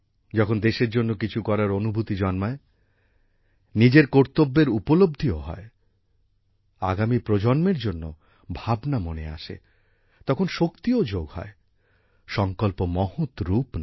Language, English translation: Bengali, When there is a deep feeling to do something for the country, realize one's duties, concern for the coming generations, then the capabilities also get added up, and the resolve becomes noble